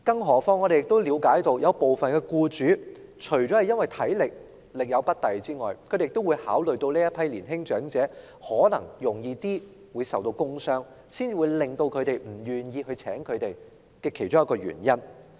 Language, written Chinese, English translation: Cantonese, 我們亦了解到，部分僱主不願意聘用年青長者，除了因為考慮到他們力有不逮外，他們可能較易受到工傷亦是僱主不願意予以聘請的其中一個原因。, We are also aware that apart from the considerations about the incompetence of young - olds their possibly greater vulnerability to work injuries is also one of the reasons for some employers being reluctant to employ them